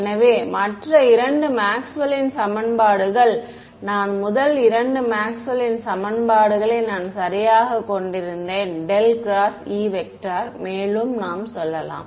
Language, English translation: Tamil, So, the other two Maxwell’s equations that I mean the first two Maxwell’s equations that I had right this one curl of E let's go back further right